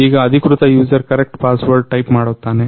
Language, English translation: Kannada, Now authorized user types the correct password